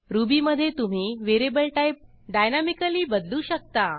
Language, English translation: Marathi, In Ruby you can dynamically change the variable type